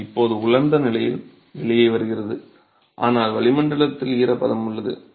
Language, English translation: Tamil, It comes out in a bone dry condition but there is moisture in the atmosphere